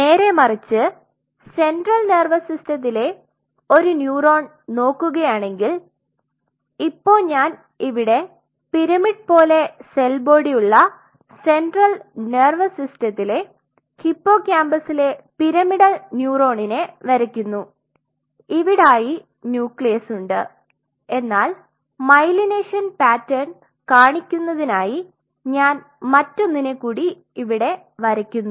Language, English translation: Malayalam, On the contrary if you see a neuron in the central nervous system if you draw say if I draw a pyramidal neuron in the central nervous system of hippocampus which has pyramidal like cell body here the processes here the nucleus yes let me draw another one that I do not make more sense to show the myelination pattern